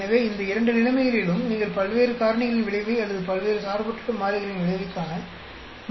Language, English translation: Tamil, So, in these two situations, you will not be able to see effect of various factors or effect of various independent variables